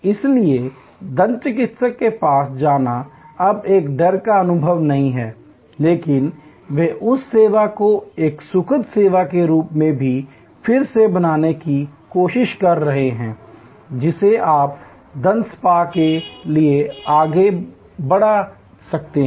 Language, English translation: Hindi, So, going to the dentist is no longer a fearful experience, but they are trying to recreate that same service as a pleasurable service that you can go forward to the dental spa